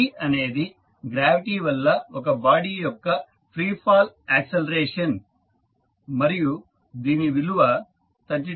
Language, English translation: Telugu, g is the acceleration of free fall of the body due to gravity which is given as g is equal to 32